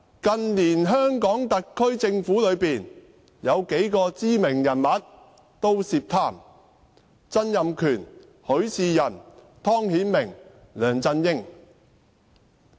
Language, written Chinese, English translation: Cantonese, 近年的香港特區政府有數個知名人物均涉貪：曾蔭權、許仕仁、湯顯明和梁振英。, A number of famous icons in the SAR Government in recent years are involved in corruption namely Donald TSANG Rafael HUI Timothy TONG and LEUNG Chun - ying . Donald TSANG is now being prosecuted